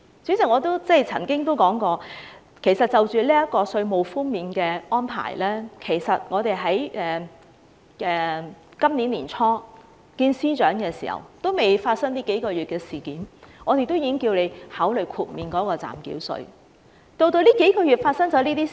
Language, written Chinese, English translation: Cantonese, 主席，我曾經說過，關於今次稅務寬免的安排，其實今年年初仍未發生這數個月的事件時，我們曾與司長會面，當時我們已經請司長考慮豁免暫繳稅。, President I once said that before the outbreak of the incidents over the past few months we met with the Chief Secretary early this year to discuss the current tax reduction proposal . At that time we had already asked the Chief Secretary to consider waiving the provisional tax